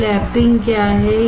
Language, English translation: Hindi, So, what is lapping